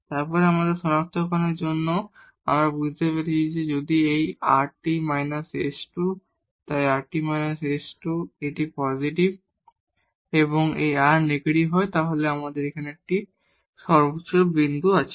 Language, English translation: Bengali, And then for the identification we have realized that if this rt minus s square, so rt and minus s square, this is positive and this r is negative, then we have the point of a maximum